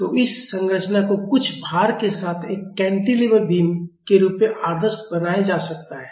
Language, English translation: Hindi, So, this structure can be idealized as a cantilever beam with some load